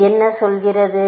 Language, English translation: Tamil, What are we saying